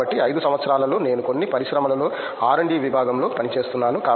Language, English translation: Telugu, So, in 5 years I see myself working in R&D section in some industry